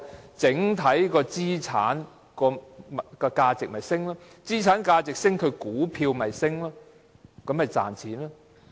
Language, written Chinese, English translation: Cantonese, 當整體資產價值上升，股價便會上升，公司便會賺錢。, When the overall asset value is increased the stock price will go up and the company will reap a profit